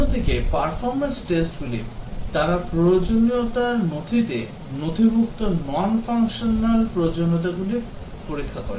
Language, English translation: Bengali, Whereas the performance tests, they check the non functional requirements as documented in the requirements document